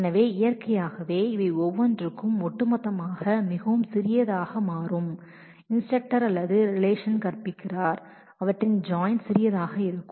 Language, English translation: Tamil, So, naturally each one of these will become much smaller corresponding to the whole instructor or teaches relation therefore, their join will also be smaller